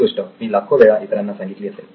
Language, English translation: Marathi, I must have said this a million times